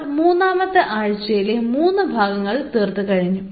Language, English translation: Malayalam, So, today we are into the fifth lecture of week 3